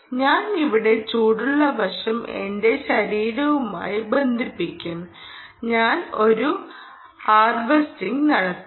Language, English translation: Malayalam, i will connect the hot side here to my body, ok, and i will make a measurement